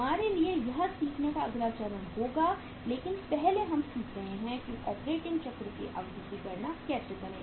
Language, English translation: Hindi, For us that will be the next stage to learn but first we are learning how to calculate the duration of the operating cycle